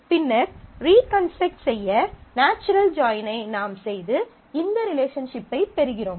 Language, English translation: Tamil, So, we are taking a natural join to reconstruct and we get this relationship